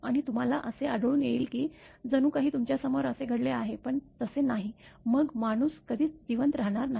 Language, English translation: Marathi, And you can find that as if it has happened in front of you, but it is not; then person will never survive